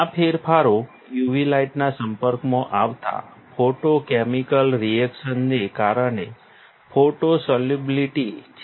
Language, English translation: Gujarati, The changes, its changes is photo solubility due to photochemical reaction exposed to the UV light